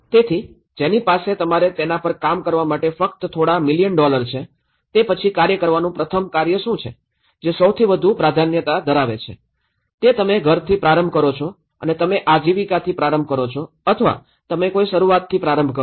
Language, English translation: Gujarati, So, which one you have only a few million dollars to work on it so, then what is the first task to work, which are the most priority, is it you start with a home or you start with a livelihood or you start with a religion you know that’s priority has to be understood